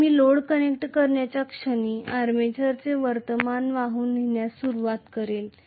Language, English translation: Marathi, But the moment I connect the load the armature is going to start carrying current